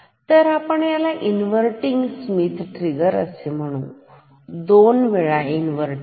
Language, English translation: Marathi, So, we call this as a inverting Schmitt trigger; twice inverting